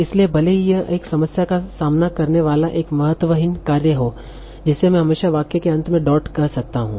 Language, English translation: Hindi, So even if it looks a trivial task, we face with this problem that, OK, can I always call dot as the end of the sentence